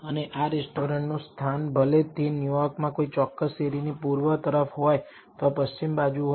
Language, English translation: Gujarati, And the location of these restaurants whether on they are on the east side of a particular street in New York or the west side